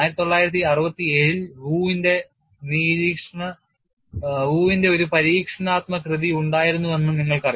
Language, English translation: Malayalam, You know there was an experimental work by Wu in 1967